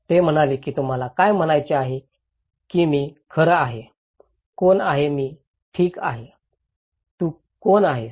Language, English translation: Marathi, They said that what do you mean that I will be in fact, who is who are I okay, who are you